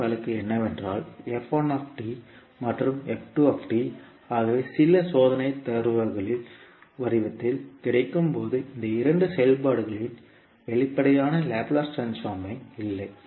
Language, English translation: Tamil, Another case is that when f1t and f2t are available in the form of some experimental data and there is no explicit Laplace transform of these two functions available